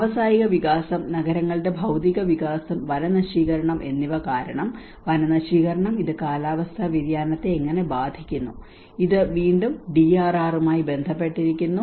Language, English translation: Malayalam, Deforestation because of the industrial and expansions, physical expansion of cities, and how the deforestation is in turn affecting the climate change and which is again relating to the DRR